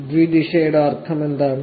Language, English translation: Malayalam, What does a bidirectional mean